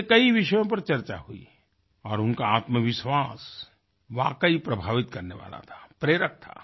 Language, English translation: Hindi, Many topics were discussed in their company and their confidence was really striking it was inspiring